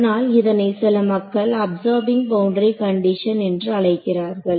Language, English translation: Tamil, So, that is why some people called it absorbing boundary condition